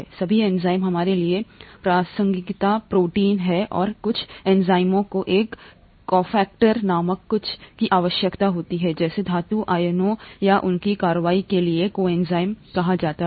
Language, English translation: Hindi, All enzymes of relevance to us are proteins and some enzymes require something called a cofactor, such as metal ions or what are called coenzymes for their action, okay